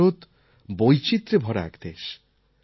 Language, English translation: Bengali, " India is full of diversities